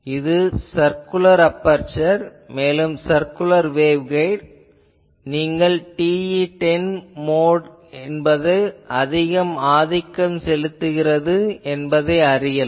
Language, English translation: Tamil, This is for circular aperture also your circular waveguide if you know you can find that dominant field is TE10 mode ok